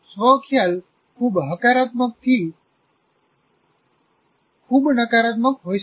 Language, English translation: Gujarati, And self concept can be over from very positive to very negative